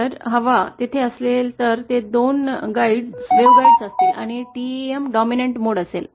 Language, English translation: Marathi, If air were there, then it would be a two conductor waveguide and TEM would be the dominant